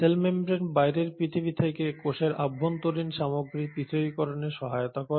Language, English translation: Bengali, The cell membrane helps in segregating the internal content of the cell from the outer environment